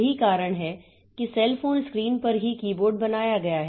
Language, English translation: Hindi, So, that is why on the cell phone screen itself that keyboard has been made